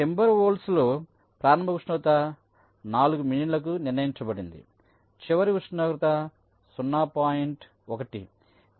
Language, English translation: Telugu, so in timber wolf the initial temperature was set to four million, final temperature was point one